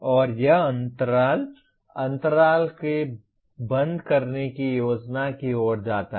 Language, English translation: Hindi, And this gap leads to plan for closing the gaps